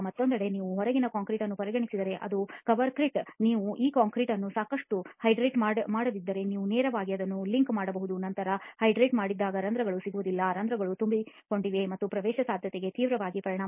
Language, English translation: Kannada, On the other hand if you consider this concrete that is outside that is cover crete if you do not hydrate this concrete well enough you can directly then link it back to the fact that when you do not hydrate the pores do not get filled up and if the pores are not getting filled up your permeability is going to be severely affected